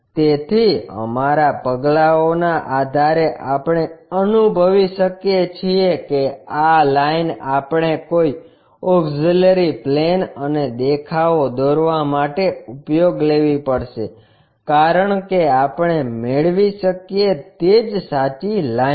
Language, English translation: Gujarati, So, based on our steps, we can sense that this line we have to pick for constructing any auxiliary planes and views because that is the true line what we can get